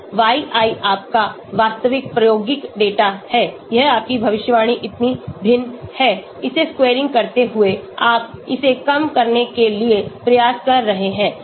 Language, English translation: Hindi, yi is your actual experimental data, this is your prediction so difference, squaring it up, summation you are trying to minimize this